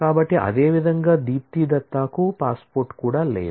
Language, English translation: Telugu, So, similarly, Dipti Dutta does not have a passport either